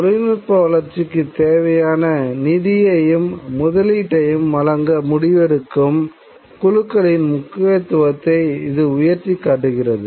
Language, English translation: Tamil, It highlights the importance of decision making groups who will make the money available, the investment available for development of technology